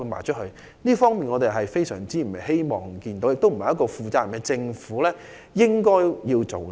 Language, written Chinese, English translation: Cantonese, 這是我們非常不希望見到的，亦並非一個負責任政府應該做的事。, This is not something that we wish to see and a responsible Government should do